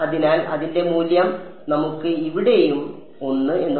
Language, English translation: Malayalam, So, its value is let us say 1 over here and at x 2 e